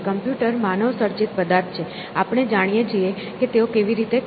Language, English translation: Gujarati, So, computers are manmade objects; we know how they operate